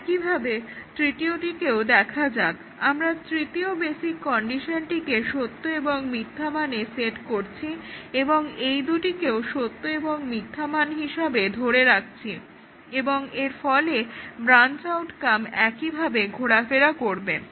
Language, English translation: Bengali, We set the third basic condition to true and false and keeping these two at true and false, and therefore the branch outcome toggles